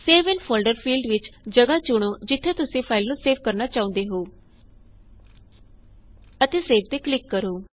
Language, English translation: Punjabi, In the Save in folder field, choose the location where you want to save the file and click on Save